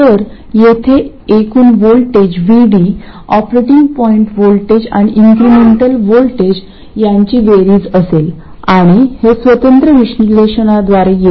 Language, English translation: Marathi, So, what do voltage here, VD will be the operating point voltage plus the incremental voltage, okay